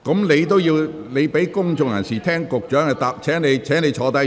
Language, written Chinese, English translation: Cantonese, 你應先讓公眾人士聆聽局長的答覆，請坐下。, You should let members of the public listen to the reply of the Secretary . Please sit down